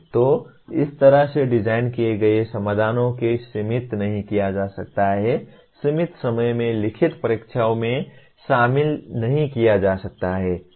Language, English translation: Hindi, So the designing solutions like this cannot be fitted into, cannot be included in limited time written examinations